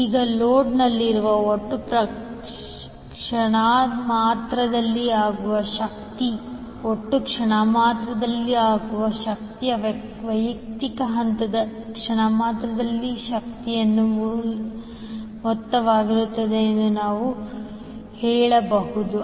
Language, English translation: Kannada, Now total instantaneous power in the load, you can say the total instantaneous power will be the sum of individual phase instantaneous powers